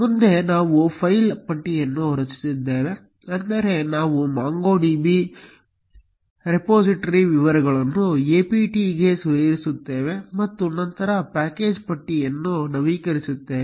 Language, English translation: Kannada, Next we are going to create a file list, that is, we will add the MongoDB repository details to the apt and then, update the package list